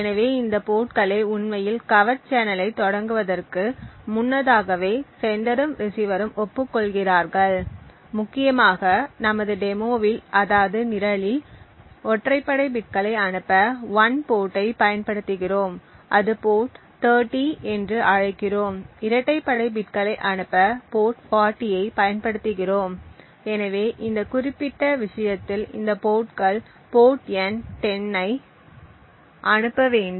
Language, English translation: Tamil, So these ports are prior to actually starting the covert channel, the sender and receiver agree upon these ports and essentially in our program the demonstration that we would see we would use 1 port say port 30 to send the odd bits and port 40 to send the even bits, so for example in this particular case we would have these ports sending the port number 10